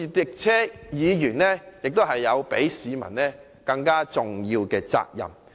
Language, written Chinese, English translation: Cantonese, 再者，議員亦有較市民更重大的責任。, Further Members have greater responsibilities than members of the public